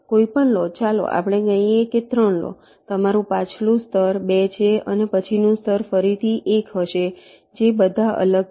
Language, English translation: Gujarati, take any other, lets say take three, your previous level is two and next level will be one again, which are all distinct